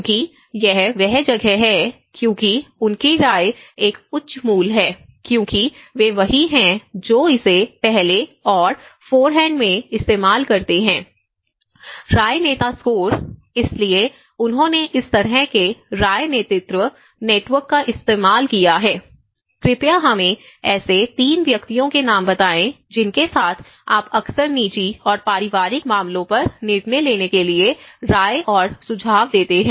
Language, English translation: Hindi, Because that is where because their opinion is a higher value because they are the one who used it in the first and forehand, opinion leader score; so they have used the kind of opinion leadership network so, please name us 3 persons with whom you often turn for opinions and suggestions to make any decisions on your personal and family matters